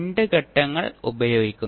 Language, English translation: Malayalam, We use two steps